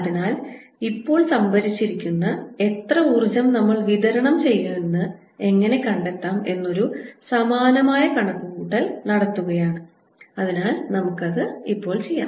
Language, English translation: Malayalam, so we are going to do a similar calculation now to find out how much energy do we supply that is stored